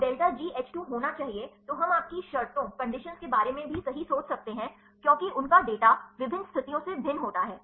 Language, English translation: Hindi, So, delta G H 2 be had, then we can also think about your conditions right, because their data varies from different conditions